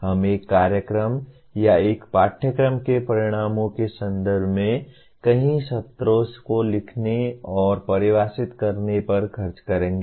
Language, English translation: Hindi, We will be spending several sessions on writing and defining under various contexts the outcomes of a program or a course